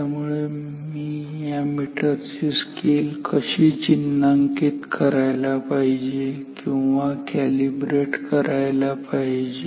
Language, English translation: Marathi, So, if so, now how should I calibrate or mark this scale of this meter